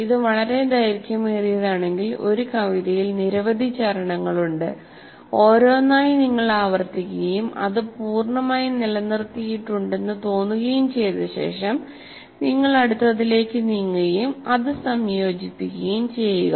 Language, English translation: Malayalam, And if it is a very long one, there are several stanzas in a poem, then each one by one you repeat and after you feel that you have retained it completely, then you move on to that and combine this into that